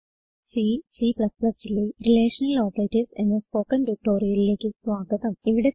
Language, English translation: Malayalam, Welcome to the spoken tutorial on Relational Operators in C and C++